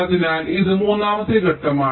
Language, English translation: Malayalam, ok, this is the first step